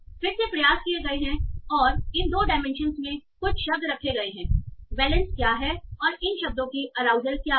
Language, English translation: Hindi, So there are again attempts that have put words in these two dimensions that what is the valence and what is the arousal of these words